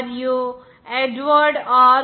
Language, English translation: Telugu, Lewis and Edward R